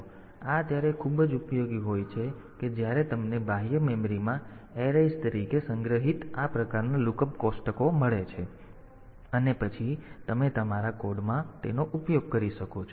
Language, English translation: Gujarati, So, this is very much useful when you have got this type of look up tables stored as arrays in the external memory and then you can use it for in your code ok